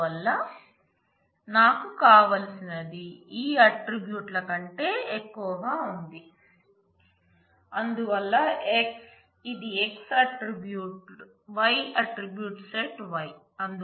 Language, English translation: Telugu, So, what I want is over the attributes of this is therefore, x this is x this attribute y attribute set y